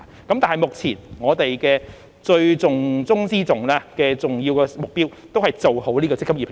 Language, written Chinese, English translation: Cantonese, 但是，目前我們的重中之重，最重要的目標，仍是先做好"積金易"平台。, However our top priority and most important task at this point is to implement the eMPF Platform properly